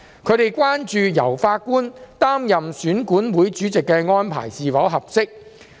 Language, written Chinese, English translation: Cantonese, 他們關注由法官擔任選管會主席的安排是否合適。, They were concerned about the appropriateness of having a judge as the EAC Chairman